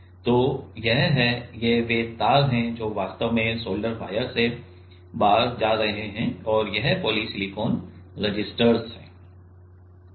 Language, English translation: Hindi, So, this are the; this are the wires which are going out actually solder wire and this are the poly silicon resistors